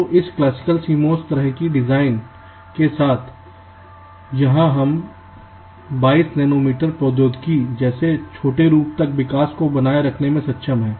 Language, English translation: Hindi, so with this classical cmos kind of design we have here we have been able to sustain the growth up to as small as twenty two nanometer technology